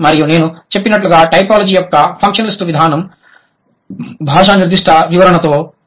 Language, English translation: Telugu, And functionalist as I have just mentioned, functionalist approach of typology deals with language particular description